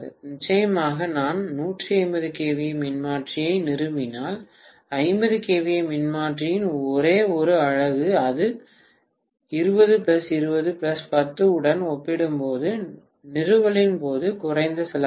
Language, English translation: Tamil, Definitely, no doubt that if I install 150 kVA transformer, just one single unit of 50 kVA transformer, that will be less costly at the time of installation as compared to 20 plus 20 plus 10